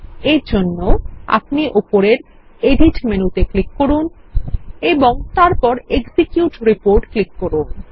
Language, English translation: Bengali, For this, we will click on the Edit menu at the top and then click on the Execute Report